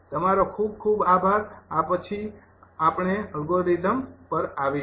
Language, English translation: Gujarati, next, ah, after this, we will come to the algorithm